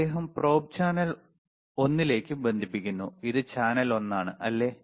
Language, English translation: Malayalam, He is connecting the probe right to the channel one, this is channel one, right